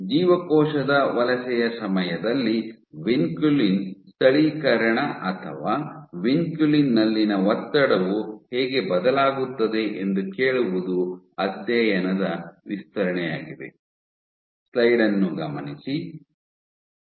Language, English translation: Kannada, The extend of the study to ask that how does vinculin localization or tension in vinculin vary during cell migration